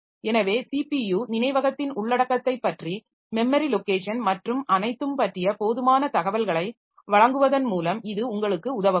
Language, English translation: Tamil, So, that can help you by giving enough information about the content of CPU registers, memories and memory locations and all